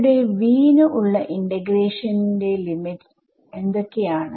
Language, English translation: Malayalam, So, what are the limits of integration over here for v